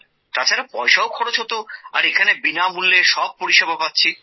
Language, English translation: Bengali, And money was also wasted and here all services are being done free of cost